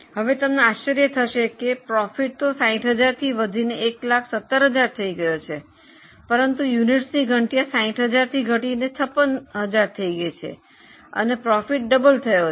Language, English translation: Gujarati, Now you will be surprised that profit has almost doubled from 60,000 to 119 but the number of units have gone down from 60,000 to 56,000 but profit has doubled